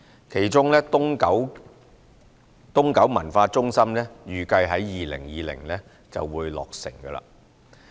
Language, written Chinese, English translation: Cantonese, 其中東九文化中心預計於2020年落成。, It is expected that the construction of the East Kowloon Cultural Centre will be completed by 2020